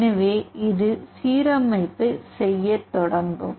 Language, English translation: Tamil, So, it will start doing the alignment